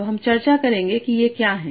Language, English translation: Hindi, So we'll discuss what are these